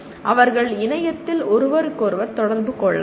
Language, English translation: Tamil, They can interact with each other over the internet